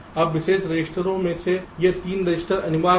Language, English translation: Hindi, now, among the special registers, these three registers are mandatory